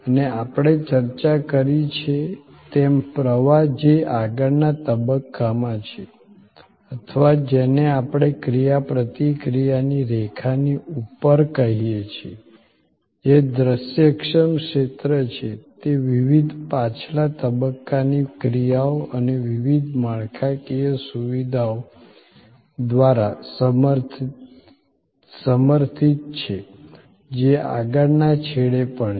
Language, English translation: Gujarati, And as we have discussed, the flow which is in the front stage or what we call above the line of interaction, which is visible area is supported by different back stage actions and different infrastructure, which are even at the further back end